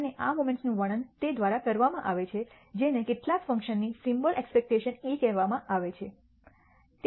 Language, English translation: Gujarati, And these moments are described by what is called the symbol expectation e of some function